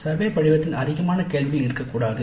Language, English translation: Tamil, We cannot have survey form in which there are too many questions